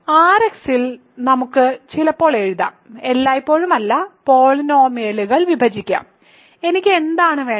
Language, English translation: Malayalam, So, in R[x] we can sometimes I will write, not always, divide polynomials; so, what is it that I want do ok